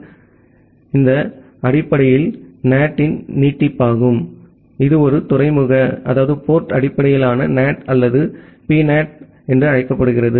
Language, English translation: Tamil, So, it is basically an extension of NAT which is sometime called as a port based NAT or PNAT